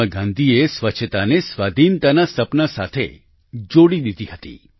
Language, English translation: Gujarati, Mahatma Gandhi had connected cleanliness to the dream of Independence